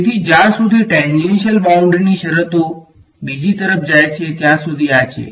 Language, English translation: Gujarati, So, this is as far as tangential boundary conditions go the other